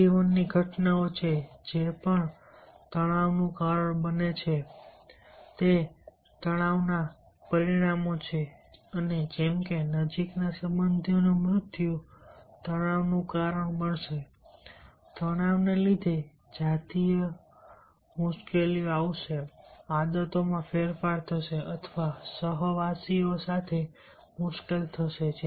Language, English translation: Gujarati, these are the change in life events that also that also causes, that also are the consequences of stress and, like death of close relatives, will cause stress because of stress, there will be sexual difficulties, there will be change in habits or trouble with co workers and boss